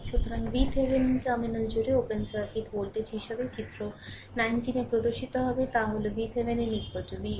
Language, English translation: Bengali, Similarly, thus V Thevenin is the open circuit voltage across the terminal as shown in figure 19 a; that is V Thevenin is equal to V oc right